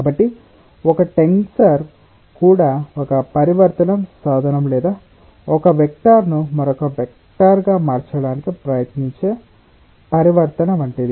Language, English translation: Telugu, so tensor is also like a transformation tool or a transformation which tries to transform one vector into another vector